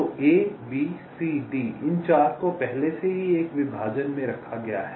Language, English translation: Hindi, so a, b, c, d, these four already have been put in one partition